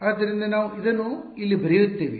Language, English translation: Kannada, So, so, we will let us write this down over here